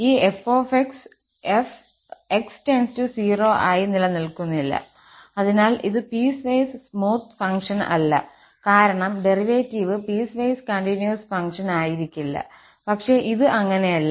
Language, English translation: Malayalam, This f prime does not exist as x goes to 0 and hence this is not piecewise smooth function because the derivative must be piecewise continuous function but this is not